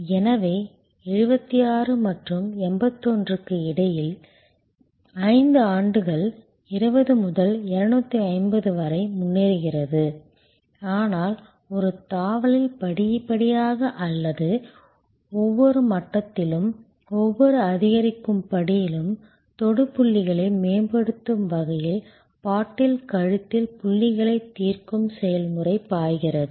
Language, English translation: Tamil, So, between 76 and 81, 5 years progress from 20 to 250, but not in one jump progressively, working out at every level, at every incremental step, the process flow the solving of the bottle neck points optimizing the touch points